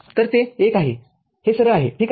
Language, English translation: Marathi, So, this is one this is straight forward ok